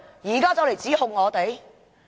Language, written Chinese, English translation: Cantonese, 現在卻來指控我們。, But accusations are made of us now